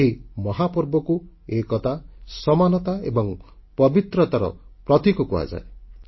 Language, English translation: Odia, This Mahaparva, megafestival stands for unity, equality, integrity and honesty